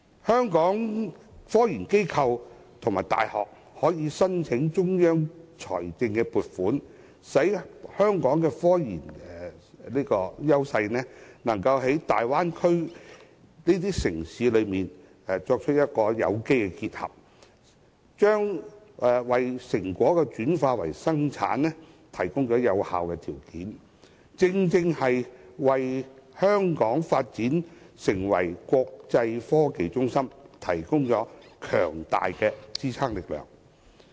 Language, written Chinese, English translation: Cantonese, 香港的科研機構和大學可申請中央財政撥款，令香港的科研優勢能與大灣區城市進行有機結合，為成果轉化為生產提供有效條件，為香港發展成為國際創科中心提供強大的支撐力量。, As it is now possible for technological research institutions and universities in Hong Kong to apply for state funding an organic integration of Hong Kongs research strengths and Bay Area cities has become possible . Such integration can help commercialize the results of technological research and support Hong Kongs development into an international IT hub